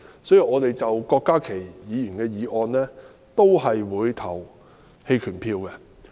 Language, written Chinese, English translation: Cantonese, 所以，就郭家麒議員的修正案，我們也會投棄權票。, Hence we will also abstain from voting on Dr KWOK Ka - kis amendment